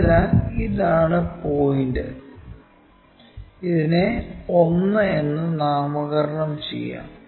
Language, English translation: Malayalam, So, this is the point and let us name this one as 1